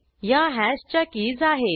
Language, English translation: Marathi, These are the keys of hash